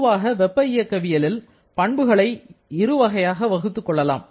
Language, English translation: Tamil, So, in common thermodynamics, we generally can classify properties in two different manners